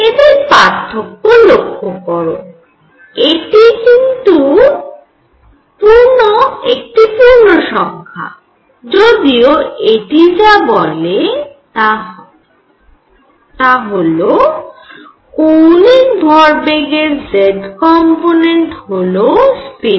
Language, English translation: Bengali, This difference again notice is by one integer; however, what it said was that z component of angular momentum which I will call spin